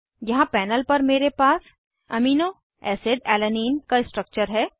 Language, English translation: Hindi, Here I have a model of aminoacid Alanine on the panel